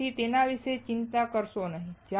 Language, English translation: Gujarati, So, do not worry about it